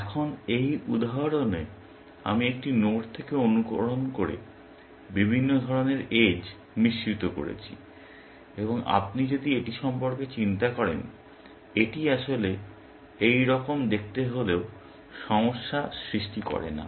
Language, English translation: Bengali, Now, in this example, I have mixed up the kind of edges, emulating from a node and if you think about this, it does not really cause a problem to see it like this